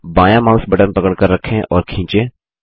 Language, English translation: Hindi, Hold the left mouse button and drag